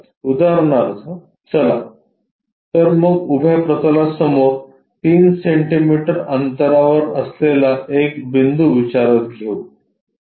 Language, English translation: Marathi, Let us consider a point 3 centimetres in front of vertical plane